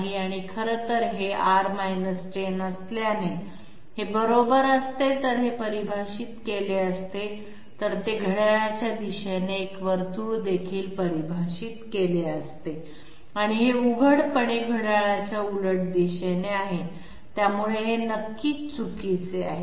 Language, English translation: Marathi, And in fact, since it is R 10 this would have defined had it been correct, then also it would have defined a a a circle with clockwise sense and this is obviously counterclockwise, so this is definitely it would have been wrong anyway